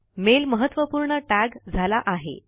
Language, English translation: Marathi, The mail is tagged as Important